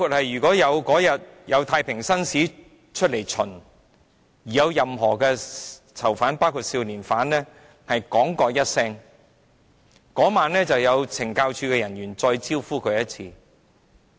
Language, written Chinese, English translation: Cantonese, 如果有任何囚犯在太平紳士探訪囚犯當天說一句，當晚便會有懲教署人員"招呼"他。, But when we ask former prisoners and juvenile prisoners who have been released why they did not speak up during their